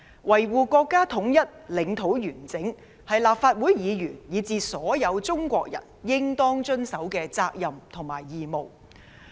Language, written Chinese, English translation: Cantonese, 維護國家統一，領土完整，是所有立法會議員，以至所有中國人應當履行的責任和義務。, To safeguard national unity and territorial integrity is a duty and obligation of all Members and all Chinese